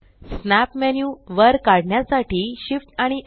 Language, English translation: Marathi, Shift S to pull up the snap menu